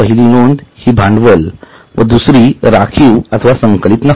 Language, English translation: Marathi, The first one is capital and the second one is reserves or accumulated profits